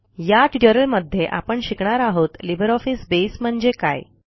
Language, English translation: Marathi, In this tutorial, we will learn about What is LibreOffice Base